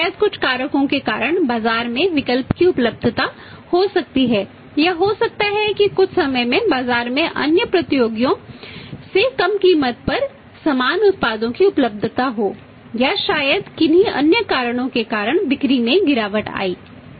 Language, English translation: Hindi, But maybe because of certain factors may be the availability of substitutes in the market or maybe sometime availability of the similar products as the lesser price from the other competitors in the market or maybe because of any other reasons the sales may declined